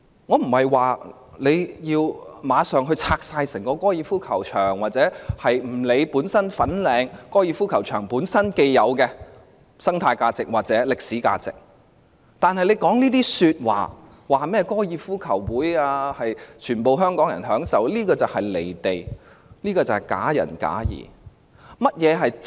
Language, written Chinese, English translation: Cantonese, 我不是要求立即清拆整個高爾夫球場，或不理會粉嶺高爾夫球場本身既有的生態價值或歷史價值，但她提出高爾夫球場是供全體香港人享用，這種說話相當"離地"和假仁假義的。, I am not asking for the immediate demolition of the entire golf course or disregard for the existing ecological or historical values of the Fanling Golf Course but her remark that the golf course is for the enjoyment of all Hong Kong people is quite out of touch with reality and hypocritical